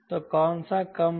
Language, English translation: Hindi, so which one is less